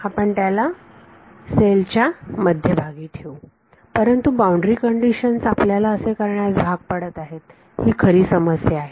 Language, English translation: Marathi, We could put it at the middle of the cell, but then the problem is boundary conditions enforcing